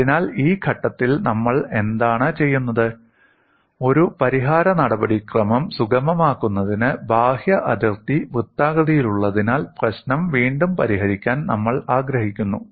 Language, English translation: Malayalam, So what we are doing in this step is, we want to recast the problem as the outer boundary being circular for facilitating a solution procedure